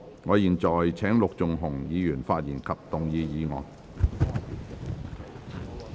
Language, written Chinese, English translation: Cantonese, 我現在請陸頌雄議員發言及動議議案。, I now call upon Mr LUK Chung - hung to speak and move the motion